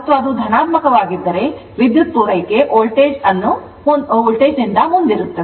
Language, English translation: Kannada, And if it is positive resultant current reach the supply voltage right